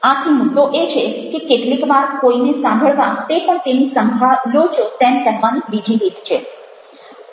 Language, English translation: Gujarati, so the point is that very often listening to somebody is the way of telling the other person that you care